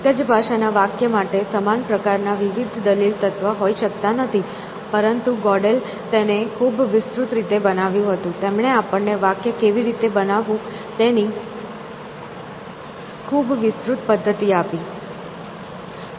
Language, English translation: Gujarati, The same type of an argument element could not be an argument to a sentence in that same language essentially, but Godel constructed this very elaborate; he gave us very elaborate mechanism of how to construct a sentence